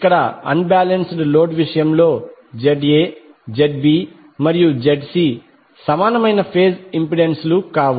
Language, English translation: Telugu, Here in case of unbalanced load ZA, ZB, ZC are the phase impedances which are not equal